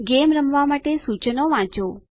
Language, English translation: Gujarati, Read the instructions to play the game